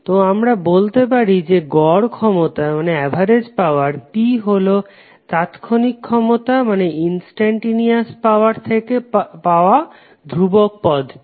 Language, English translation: Bengali, So we can say that the average power P is nothing but the constant term which we have got from the instantaneous power